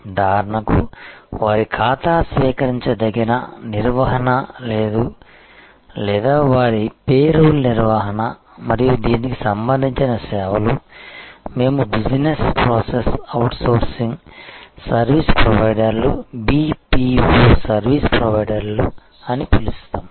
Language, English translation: Telugu, For example, their account receivable management or their payroll management and such services to this, what we call business process outsourcing, service providers, BPO service providers